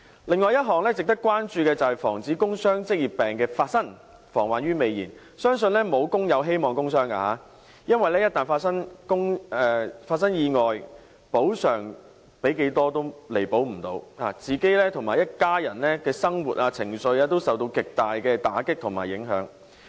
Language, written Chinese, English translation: Cantonese, 另外一項值得關注的便是防止工傷職業病的發生，防患於未燃，相信沒有工友希望工傷，因為一旦發生意外，補償多少也彌補不了，自己及一家人的生活、情緒均受到極大打擊和影響。, Another issue warranting our concern is the prevention of work injuries and occupational diseases by nipping them in the bud . I do not believe that any worker wants to get injured at work . In case of an accident no compensation amount can make up for the loss as the livelihood and emotion of his whole family including the injured himself will sustain a tremendous blow and huge impacts